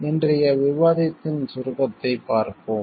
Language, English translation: Tamil, Let see the outline of today’s discussion